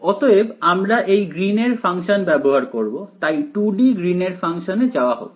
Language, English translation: Bengali, So, we will be using this Green’s function right and so, let us go to the 2 D Green’s function right